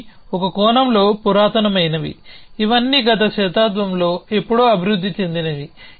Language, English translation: Telugu, These are in some sense ancient they are all developed in the last century sometime